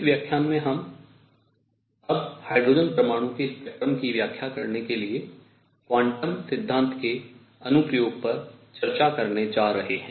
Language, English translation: Hindi, In this lecture, we are now going to discuss application of quantum theory to explain the spectrum of hydrogen atom what is known as Bohr model of hydrogen spectrum